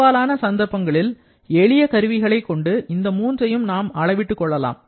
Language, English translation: Tamil, For most of the situations using simple instruments, we can measure each of the three